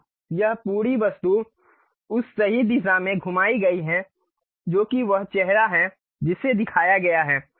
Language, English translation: Hindi, So, this entire object rotated in that rightward direction that is the face what it is shown